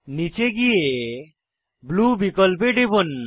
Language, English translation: Bengali, Scroll down and click on Blue option